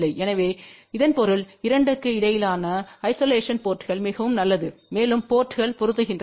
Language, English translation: Tamil, So that means, that isolation between the 2 ports is very good and also the ports are matched